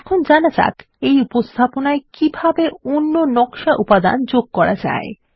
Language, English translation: Bengali, Lets now learn how to add other design elements to this presentation